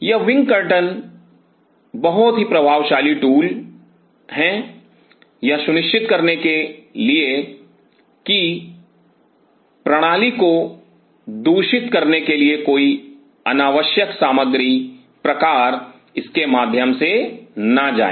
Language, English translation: Hindi, These wind curtains are very effective tool to ensure that no unnecessary material kind of passes through it to contaminate the system